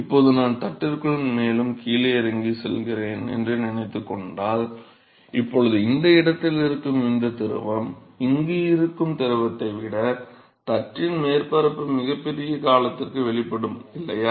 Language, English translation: Tamil, So now, if I look at sorry supposing I go further down into the plate, now this the fluid which is present in this location is exposed to the surface of the plate for a much larger period, than the fluid which is present here right